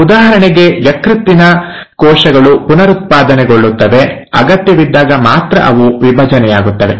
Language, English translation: Kannada, Same example, similarly you find that the liver cells, they regenerate, they divide only when the need is